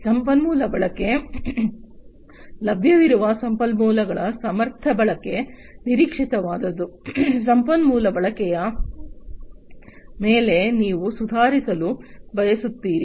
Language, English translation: Kannada, Resource utilization, efficient utilization of available resources that is what is expected, you want to improve upon the resource utilization